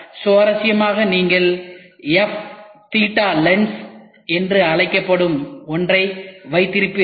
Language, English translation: Tamil, And interestingly you will have something called as f theta lens which is used